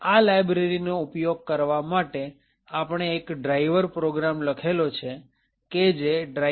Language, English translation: Gujarati, Now, in order to use this library we have written a driver program which is present in driver